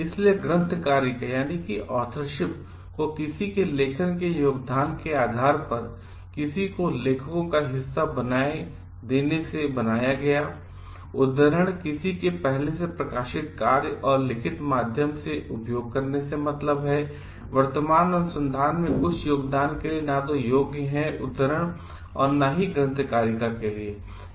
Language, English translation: Hindi, So, authorship is by making someone a part of authors depending upon the contribution made, citation is for using someone s previously published work and via written acknowledgement means for some contribution in present research that neither qualifies for citation or authorship